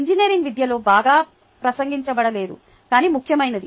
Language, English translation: Telugu, just mentioned, not well addressed in engineering education, but important